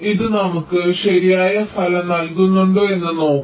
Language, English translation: Malayalam, lets see whether this gives us the correct result